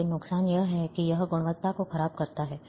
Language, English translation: Hindi, But the disadvantage is that it deteriorates the quality